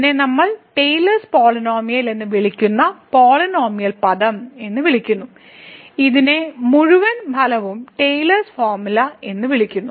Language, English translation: Malayalam, And what we call this the polynomial term we call the Taylor’s polynomial, the whole result this is called the Taylor’s formula